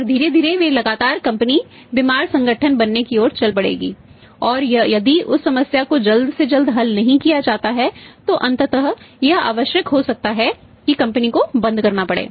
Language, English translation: Hindi, And slowly and steadily the company will become sick organisation and if that problem is not resolved as early as possible then ultimately it may be required that company has to be closed down